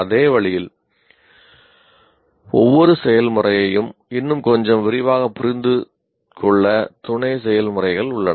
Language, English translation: Tamil, So in the same way there are sub processes to understand each process a little more in detail